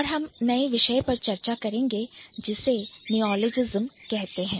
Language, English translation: Hindi, So, that's what we understand when I say neologism